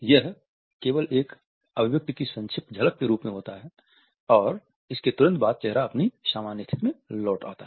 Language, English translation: Hindi, It occurs only as a brief flash of an expression and immediately afterwards the face returns to its normal state